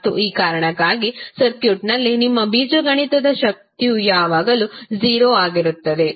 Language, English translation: Kannada, And for this reason your algebraic sum of power in a circuit will always be 0